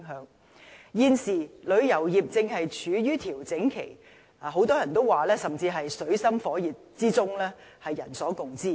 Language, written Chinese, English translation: Cantonese, 人所共知，現時旅遊業正處於調整期，很多人甚至說是在水深火熱之中。, As we all know the tourism industry is undergoing a period of consolidation and some even say that it is now in dire straits